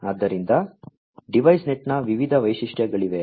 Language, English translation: Kannada, So, there are different features of DeviceNet